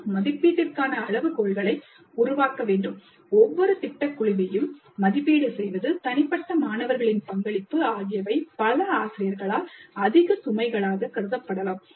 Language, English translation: Tamil, We need to develop rubrics and we need to evaluate each project team, contribution of individual students, and this may be seen as quite heavy overload by many of the faculty